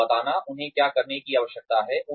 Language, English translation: Hindi, Telling people, what they need to do